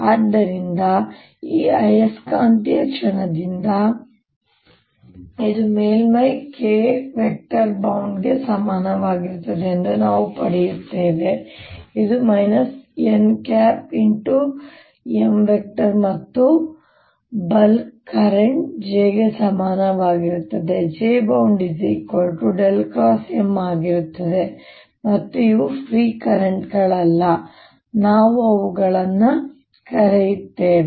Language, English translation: Kannada, so we get from this magnetic moment that it is equivalent to a surface current, k, which is equal to minus n cross m, and a bulk current, j, which is curl of m, and since these are not free currents, we call them bound currents, just like we had bound charges earlier